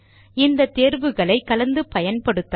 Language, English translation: Tamil, We can combine these options as well